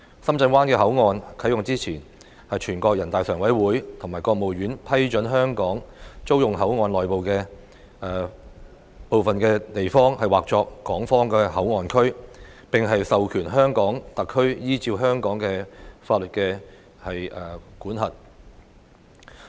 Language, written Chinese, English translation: Cantonese, 深圳灣口岸啟用前，全國人大常委會和國務院批准香港租用口岸內的部分地方以劃作港方口岸區，並授權香港特區依照香港法律管轄。, Prior to the commissioning of SBP the Standing Committee of the National Peoples Congress and the State Council approved the leasing by Hong Kong of part of the area within the port for designation as the Hong Kong Port Area and authorized HKSAR to exercise jurisdiction over it in accordance with the laws of Hong Kong